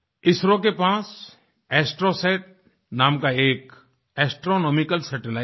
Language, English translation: Hindi, ISRO has an astronomical satellite called ASTROSAT